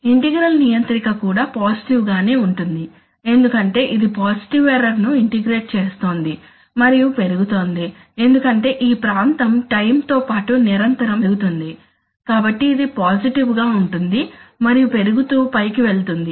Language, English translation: Telugu, Integral controller is also positive because it is integrating positive error and it is increasing because the, because the area, as it is going with time this area is continuously increasing, so it is positive and going up, increasing, right